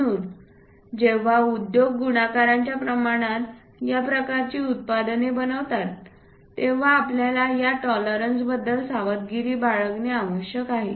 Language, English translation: Marathi, So, when industries make this kind of products in multiplication many parts one has to be very careful with this tolerances